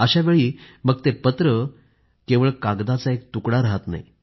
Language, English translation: Marathi, That letter does not remain a mere a piece of paper for me